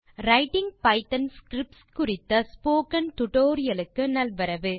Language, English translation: Tamil, Hello friends and welcome to the tutorial on Writing Python scripts